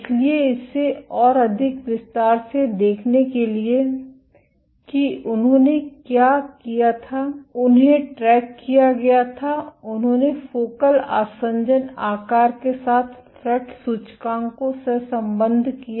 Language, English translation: Hindi, So, to look at this in greater detail what they did was they tracked, they correlated fret index with focal adhesion size